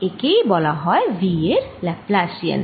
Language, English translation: Bengali, this is known as the laplacian of v